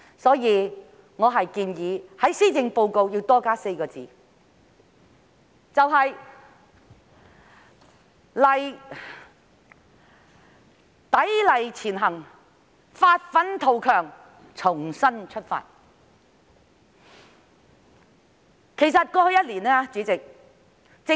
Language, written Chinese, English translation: Cantonese, 因此，我建議在施政報告的標題多加4個字，成為"砥礪前行，發奮圖強，重新出發"。, Hence I propose to add one more phrase to the title of the Policy Address which should read Striving Ahead with Strenuous Efforts and Renewed Perseverance